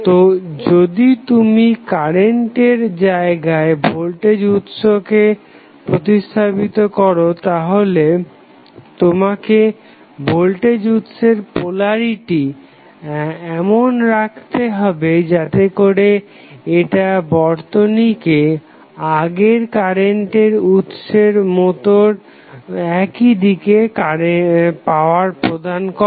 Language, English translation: Bengali, So, if you place the voltage source at current location, you have to make sure that the polarity of voltage source would be in such a way that it will give power to the circuit in the same direction as the previous direction of the current was